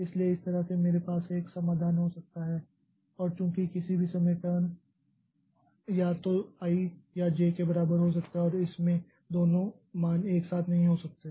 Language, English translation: Hindi, And since at any point of time turn can be either equal to I or J, it cannot have both the values simultaneously